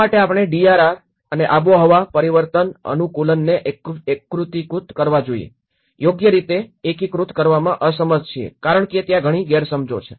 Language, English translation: Gujarati, Why we are unable to integrate, properly integrate the DRR and the climate change adaptation because there are scale mismatches